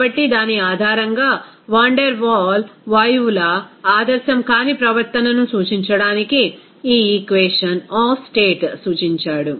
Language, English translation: Telugu, So, based on which that Van der Waal suggested this equation of state to represent the non ideal behavior of the gases